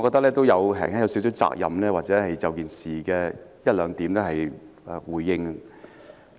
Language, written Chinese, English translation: Cantonese, 我認為我有責任就事件的一兩點作出回應。, I believe I have a responsibility to give a respond on a couple of points in respect of the incident